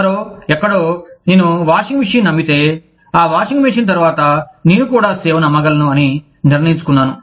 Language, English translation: Telugu, Somebody, somewhere, decided that, if i sell the washing machine, i can also sell the service, after that washing machine